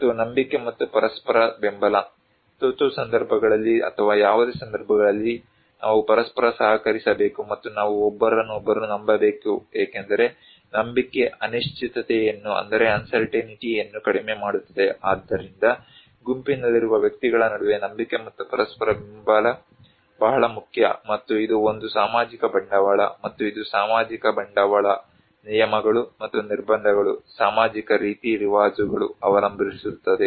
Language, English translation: Kannada, And trust and mutual support, during emergency situations or any situations, we need to cooperate with each other and we need to trust each other because trust minimize the uncertainty so trust and mutual support between individuals in a group is very important and this is one of the social capital, and also it depends on the social capital, the rules and sanctions, social norms are there